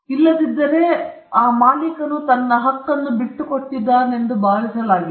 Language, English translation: Kannada, Otherwise, it could be assumed that he has given up his right